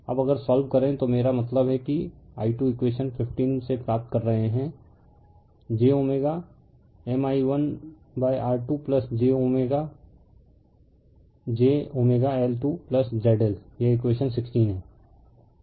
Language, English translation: Hindi, Now if you solve I mean from here i 2 you are getting from this equation 15 j omega M i 1 upon R 2 plus j omega j omega L 2 plus Z L, this is equation 16